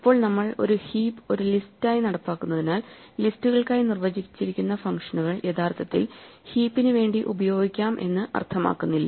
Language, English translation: Malayalam, Now, just because we implement a heap as a list it does not mean that the functions that are defined for lists are actually legal for the heap